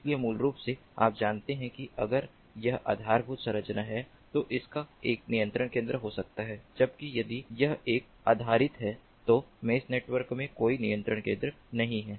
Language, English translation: Hindi, so basically, you know, if it is infrastructure based, it may have a control center, whereas if it is a adopt based, then there is no control center in the mesh network